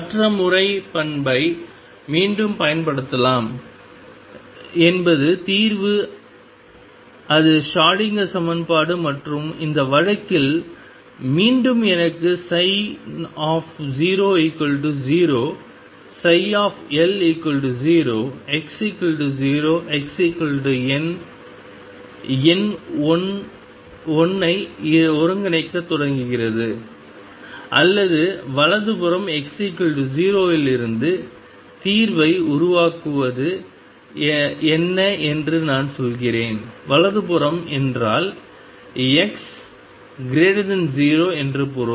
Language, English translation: Tamil, The other method could be again using the property is the solution is the Schrodinger equation and this case again I have psi 0 equals 0 psi L equals 0 x equals 0 x equals L number 1 start integrating or what I say building up the solution from x equals 0 to the right, where write means x greater than 0